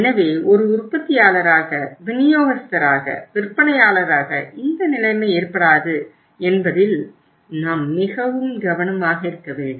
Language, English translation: Tamil, So we have to be very careful as a manufacturer, as a distributor, as a seller that this type of situation does not arise